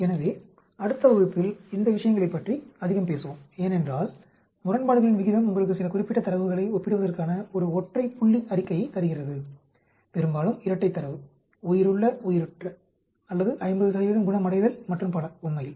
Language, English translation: Tamil, So, we will talk about these things more in the next class, because odds ratio gives you a single point statement for comparing certain data, mostly binary data, live dead or a 50 percent recovery and so on actually